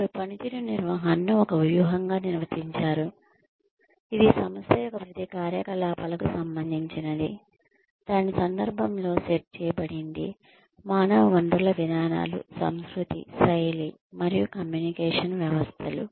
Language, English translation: Telugu, They defined performance management as a strategy, which relates to every activity of the organization, set in the context of its human resource policies, culture, style, and communication systems